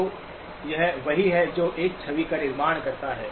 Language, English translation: Hindi, So this is what it takes to construct 1 image